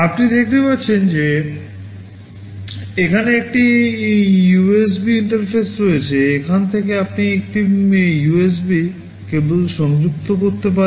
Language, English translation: Bengali, You can see there is a USB interface out here, from here you can connect a USB cable